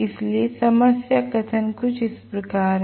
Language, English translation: Hindi, So, the problem statement goes somewhat as follows